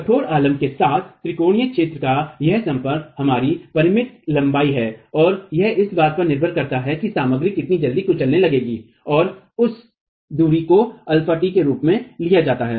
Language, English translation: Hindi, This contact of the triangular area with the rigid support is of a finite length and that depends on how quickly the material will start crushing and that distance is taken as alpha delta T